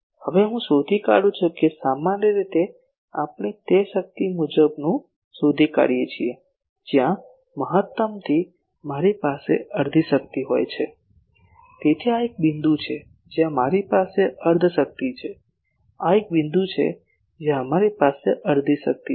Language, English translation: Gujarati, Now I locate usually we locate that power wise where from maximum I have half power, so this is one point where I have half power this is one point two where we have half power